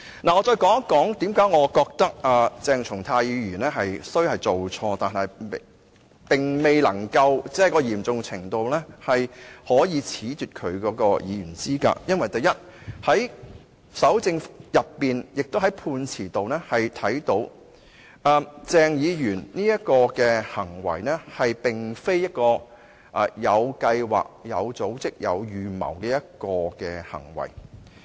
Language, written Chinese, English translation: Cantonese, 我想再說說為何我認為鄭松泰議員雖然是做錯了，但錯誤的嚴重程度未至於須褫奪他的議員資格，因為在蒐證時或在判詞當中可以看到，鄭議員這種行為並非有計劃、有組織、有預謀的行為。, I would like to talk about why I hold that even though Dr CHENG Chung - tai had done something wrong the wrongdoing was not so grave as to warrant disqualification from office as a Member of the Legislative Council . This is because in the course of evidence collection or as seen from the judgment this act of Dr CHENG was not considered a planned organized premeditated act